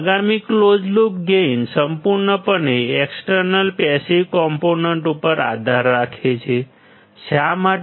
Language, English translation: Gujarati, Next closed loop gain depends entirely on external passive components; why